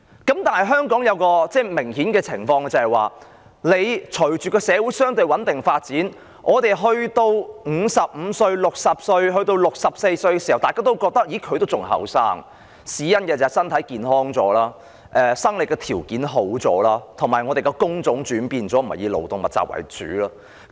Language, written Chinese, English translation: Cantonese, 然而，香港有一種明顯的情況，也就是隨着社會相對穩定發展，大家覺得55歲、60歲、64歲的人還很年青，因為與上一代人比較，現在的人身體較健康了、生理條件也較好了，工種亦轉變了，不再以勞動密集為主。, However in Hong Kong there is this obvious phenomenon that following the relatively stable development of society people aged 55 60 or 64 are considered still young because compared with the last generation people nowadays are physically more healthy or in a better shape biologically . The job types have changed too in that labour - intensive jobs are no longer the mainstay